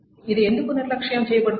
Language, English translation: Telugu, Why is it ignored